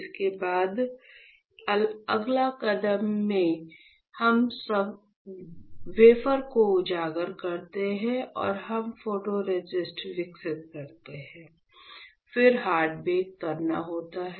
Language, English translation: Hindi, So, when you expose the wafer and we develop the photoresist, you have to perform hard bake ok